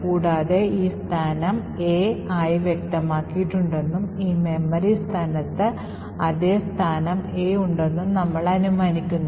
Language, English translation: Malayalam, Further we assume that we have this location specified as A and the same location A is present in this memory location